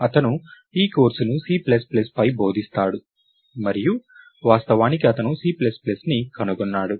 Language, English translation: Telugu, he he teaches this course on C plus plus and he is actually the inventor of C plus plus